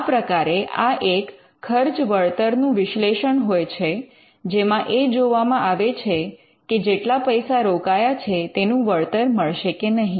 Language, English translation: Gujarati, So, it is kind of a cost benefit analysis to see whether the money that is invested could be recouped